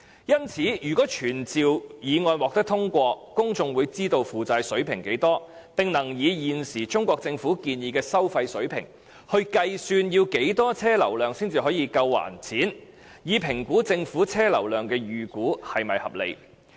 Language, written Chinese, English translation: Cantonese, 因此，如果傳召議案獲得通過，公眾便會知道負債水平，並能以現時中國政府建議的收費水平計算要多少車輛流量才足以償還債務，以及評估政府的車輛流量預估是否合理。, Therefore if the summoning motion is passed the public will know the debt situation . They will be able to use the toll levels proposed by the Chinese Government to calculate the vehicular flow volume required for repaying the debts . They will also be able to assess whether the vehicular flow volume estimate of the Government is reasonable